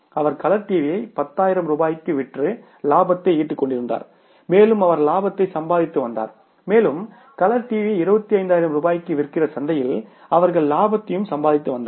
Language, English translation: Tamil, He was earning the profits by selling the colour TV for 10,000 rupees he was also earning the profits and a company selling the colour TV for 25,000 rupees in the market they were also earning the profits